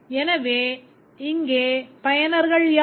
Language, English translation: Tamil, So, who are the users here